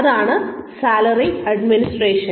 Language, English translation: Malayalam, So, salary administration